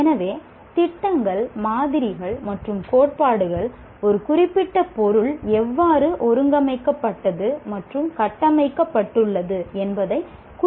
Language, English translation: Tamil, So, schemas and models and theories represent how a particular subject matter is organized and structured